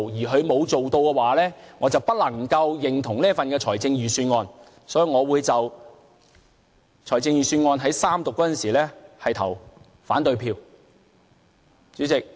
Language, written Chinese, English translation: Cantonese, 如果不做的話，我便不能認同這份預算案，所以我會在預算案三讀時投反對票。, Failing to do these I will find it impossible to agree with this budget . For that reason I will cast an opposing vote during the Third Reading of the budget